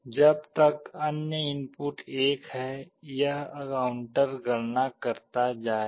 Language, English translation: Hindi, As long as the other input is 1, this counter will go on counting